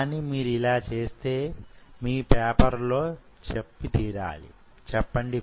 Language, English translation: Telugu, But if you do so, do mention in your paper